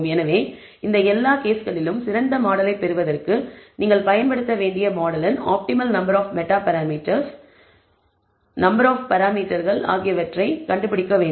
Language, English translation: Tamil, So, in all of these this cases, you have to find out the optimal number of meta parameter, optimal number of parameters of the model that you need to use in order to obtain the best model